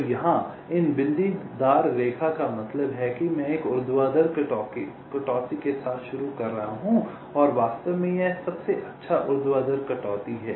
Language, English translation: Hindi, so here these dotted line means i am starting with a vertical cut and in fact, this is the best vertical cut